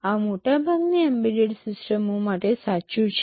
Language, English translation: Gujarati, This is true for most of the embedded systems